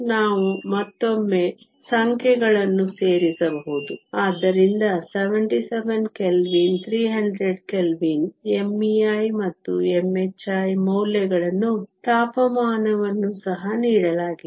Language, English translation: Kannada, We can once again plug in the numbers, so 77 Kelvin, 300 Kelvin m e star and m h star values are given temperature is also known